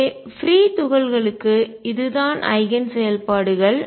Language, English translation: Tamil, So, for free particles this is the Eigen functions